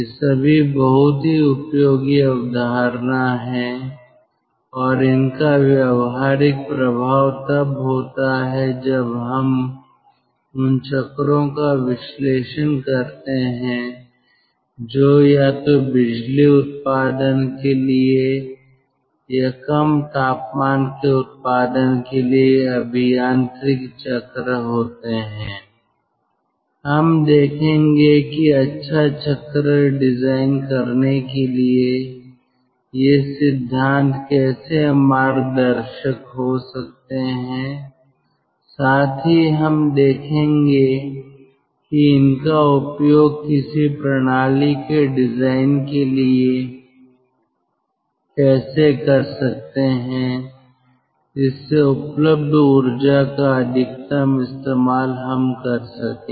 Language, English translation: Hindi, when we, when we will ah analyze the ah cycles, which are ah engineering cycles for either for power generation or for production of low temperature, we will see how these principles can be guiding principles for designing a good cycle, for designing some sort of a system which can derive maximum out of the available energy